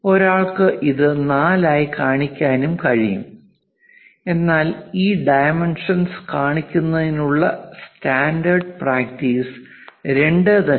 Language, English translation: Malayalam, One can also show this one as 4, but the standard practice of showing these dimensions because this 2